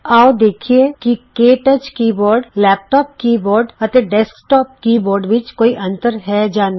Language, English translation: Punjabi, Now let us see if there are differences between the KTouch keyboard, laptop keyboard, and desktop keyboard